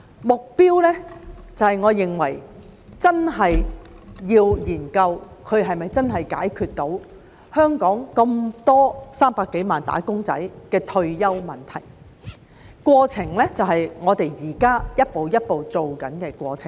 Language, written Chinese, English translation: Cantonese, 目標方面，我認為真的要研究它是否真的能解決香港300多萬名"打工仔"的退休問題；至於過程，便是我們現在一步一步正在做的過程。, Regarding the goal I think we really have to study whether it can truly address the retirement problem of some three million wage earners in Hong Kong; as for the process it refers to what we are doing step by step now